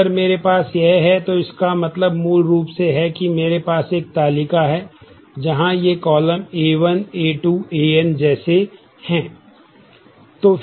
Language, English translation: Hindi, So, if I have this, then it basically means that I have a table, where these are the columns A 1 A 2 A n like this